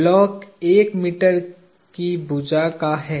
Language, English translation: Hindi, The block is one meter on the side